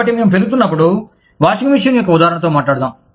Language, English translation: Telugu, So, when we were growing up, let us just stick with the example, of a washing machine